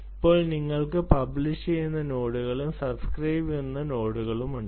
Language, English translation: Malayalam, now you have nodes which publish and there are nodes which subscribe to this